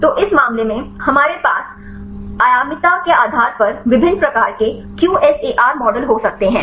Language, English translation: Hindi, So, in this case we can have various types of QSAR models based on dimensionality